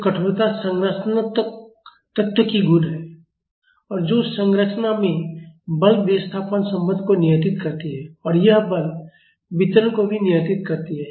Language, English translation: Hindi, So, the stiffness is the property of the structural element and that controls the force displacement relationship in a structure and it also controls the force distribution